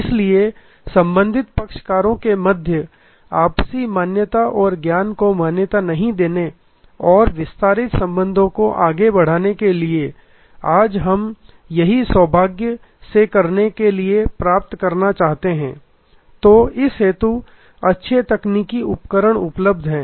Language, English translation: Hindi, So, from no recognition to mutual recognition and knowledge between the parties and going forward to the extended relationship, this is what we want to achieve to do this fortunately today, there are number of good technical tools that are available